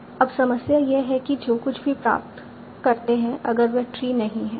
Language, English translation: Hindi, Now the problem is if whatever I obtain is not a tree